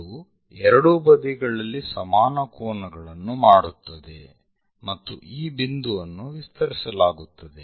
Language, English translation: Kannada, So, it makes equal angles on both sides, and this point extended